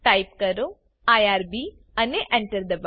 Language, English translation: Gujarati, To exit from irb type exit and press Enter